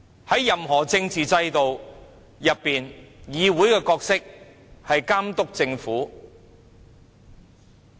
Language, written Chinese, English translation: Cantonese, 在任何政治制度中，議會的角色是監督政府。, In any political system the role of a representative assembly is to supervise the Government